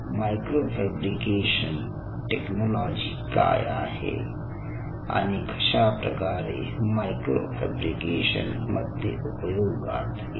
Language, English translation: Marathi, so lets start of with micro fabrication: what is really micro fabrication technology and how it comes very handy in micro fabrication